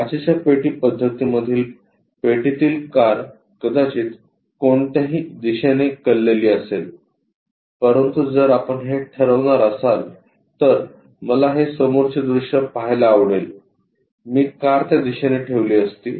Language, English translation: Marathi, So, the box in the glass box method car might be in any inclination, but if we are going to decide this one I would like to have a front view I would have placed the car in that direction